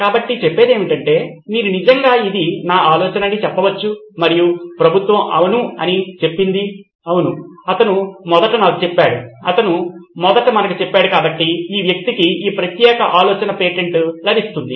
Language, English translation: Telugu, So to speak, you can actually say this is my idea and the government says yes, yes he told me first, he told us first so this guy gets the patent of that particular ideas